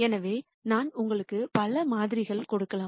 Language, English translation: Tamil, So, I might give you several samples